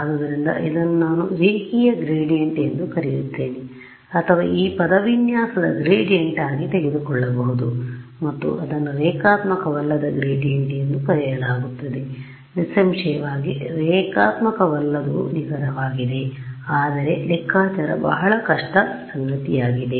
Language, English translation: Kannada, So, this is what I call the linear gradient or I can be brave and take a gradient of this expression and that will be called a non linear gradient; obviously, non linear is exact, but it's computationally very tedious